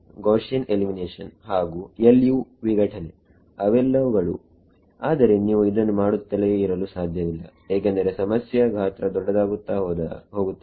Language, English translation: Kannada, Gaussian elimination and LU decomposition all of those things, but you cannot keep doing this as the size of the problem becomes large and large